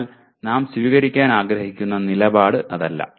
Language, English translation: Malayalam, But that is not the stand we would like to take